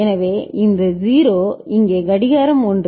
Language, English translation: Tamil, So, this 0 is here clock is 1 ok